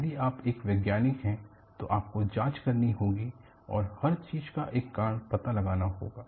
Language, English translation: Hindi, If you are a scientist, you will have to investigate and find out a reason for everything